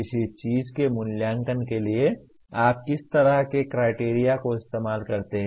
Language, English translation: Hindi, What kind of criteria do you use for evaluating something